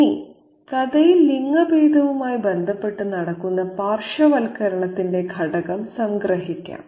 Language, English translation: Malayalam, Now, let me sum up the element of marginalization that's happening in relation to gender in the story